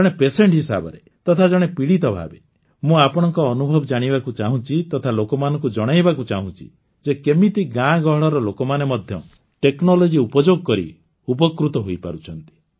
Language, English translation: Odia, As a patient, I want to listen to your experiences, so that I would like to convey to our countrymen how the people living in our villages can use today's technology